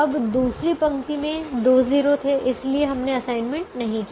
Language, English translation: Hindi, now the second row had at that point two zeros, so we did not make an assignment